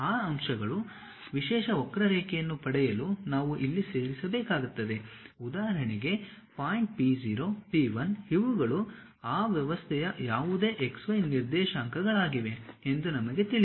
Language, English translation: Kannada, Those points, if we are joining if we are getting a specialized curve for example, the point p0, p 1 we know these are any x y coordinates of that system